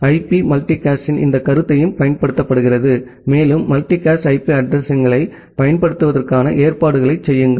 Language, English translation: Tamil, And IP also uses this concept of multicast, and keep provisioning for using multicast IP addresses